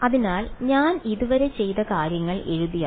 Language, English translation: Malayalam, So, if I write down so far what I have done